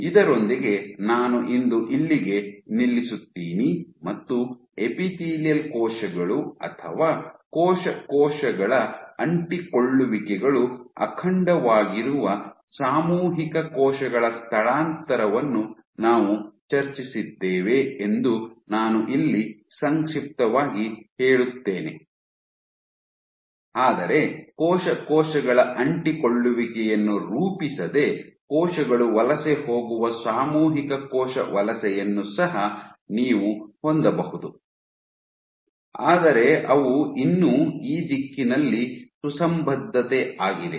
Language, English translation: Kannada, With that I stop here for today and I summarize that we discussed collective cell migration where with epithelial cells or cell cell adhesions are intact, but you can also have corrective cell migrations where cells migrate without forming cell cell adhesions, but they still they coherence in the direction